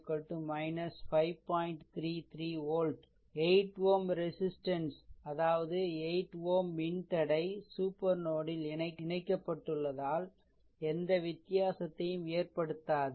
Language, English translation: Tamil, 33 volt note that 8; 8 ohm resistor; that means, this one you note that 8 ohm resistor does not make any difference because it is connected across the supernode